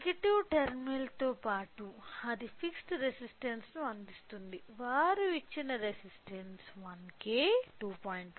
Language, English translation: Telugu, So, to the negative terminal along with that it has provided with fixed resistances the resistance they have given was 1K, 2